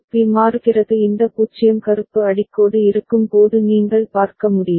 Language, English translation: Tamil, B is changing you can see when this 0 black underline is there